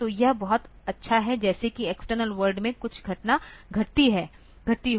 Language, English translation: Hindi, So, that is very good like if some event has occurred in the outside world